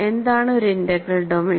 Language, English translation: Malayalam, Because what is an integral domain